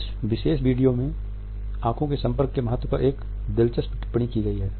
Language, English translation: Hindi, This particular video is when interesting commentary on the significance of eye contact